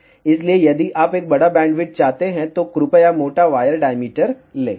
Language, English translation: Hindi, So, if you want a larger bandwidth, please take thicker wire diameter